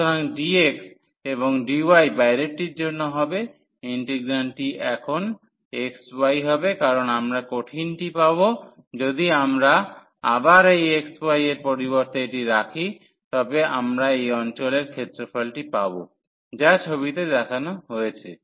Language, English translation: Bengali, So, for dx and the dy will be the outer one the integrand now will be xy because we are going to get the solid if we put this instead of xy 1 again we will get the area of this region, which is shown in the figure